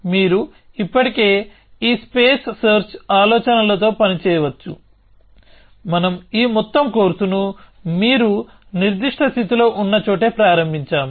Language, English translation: Telugu, So, you can still work with this idea of space search that we started this whole course with where you are in some given state